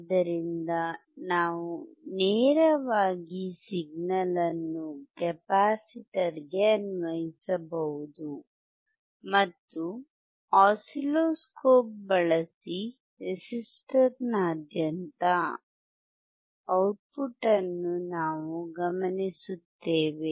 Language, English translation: Kannada, So, we can directly apply the signal to the capacitor, and we will observe the output across the resistor using the oscilloscope